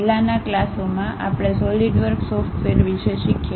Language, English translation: Gujarati, In the earlier classes we have learned about Solidworks software